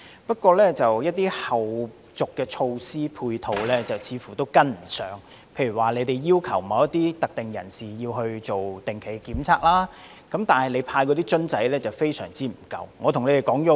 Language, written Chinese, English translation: Cantonese, 不過，一些後續的措施和配套似乎跟不上，例如當局要求某一類特定人士進行定期檢測，但派發的樣本瓶非常不足。, However some follow - up and support measures seem unable to catch up . For example the authorities have requested a certain category of people to undergo regular testing but the specimen bottles are highly insufficient for distribution